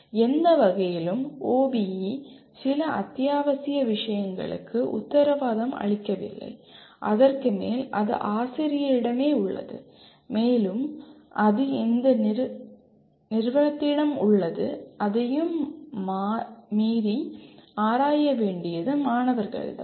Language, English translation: Tamil, So in no way OBE, OBE guarantees some essential things and above that it is up to the teacher, it is up to the institution, it is up to the students to explore beyond that